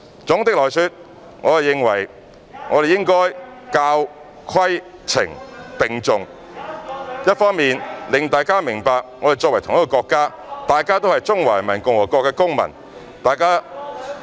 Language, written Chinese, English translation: Cantonese, 總的來說，我認為我們應該教、規、懲並重，一方面令大家明白我們在同一個國家，大家都是中華人民共和國的公民。, Overall speaking I think we should attach equal importance to education regulation and punishment . On the one hand we should make people understand that we belong to the same country and all of us are citizens of the Peoples Republic of China